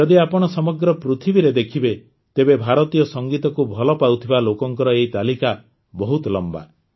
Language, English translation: Odia, If you see in the whole world, then this list of lovers of Indian music is very long